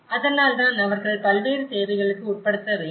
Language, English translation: Tamil, So, that is why they have to undergo various requirements